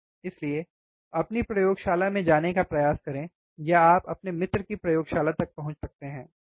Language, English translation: Hindi, So, try to go to your laboratory, or you can access your friend's lab, right